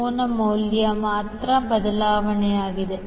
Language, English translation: Kannada, The only change will be the angle value